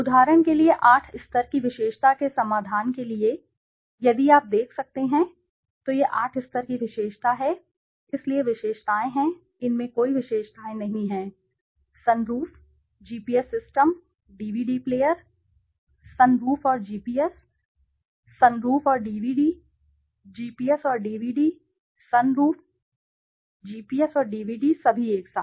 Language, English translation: Hindi, For the solution for a 8 level attribute for example if you can see, now this is the 8 level attribute so the features are, there are no features, sunroof, GPS system, DVD player, sunroof and GPS, sunroof and DVD, GPS and DVD, sunroof, GPS and DVD all together